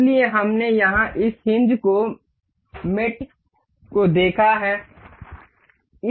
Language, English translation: Hindi, So, we have seen here this hinge mate